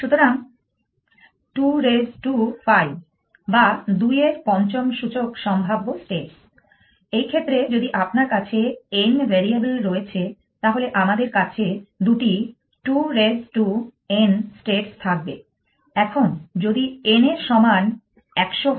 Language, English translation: Bengali, So, 2 raise to 5 possible states in this case if you have n variables, then we have two raise to n states what if n equal to100